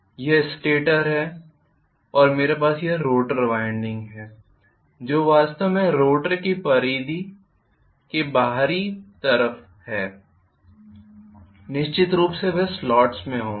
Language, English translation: Hindi, This is stator and I am going to have the rotor winding which is actually in the outer periphery of the rotor like this, of course they will be in the slot